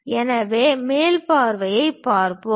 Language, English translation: Tamil, So, let us look at top view